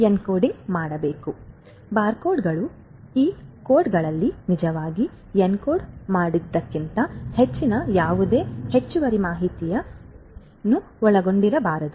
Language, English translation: Kannada, So, barcodes cannot contain any added information beyond what is actually encoded in these codes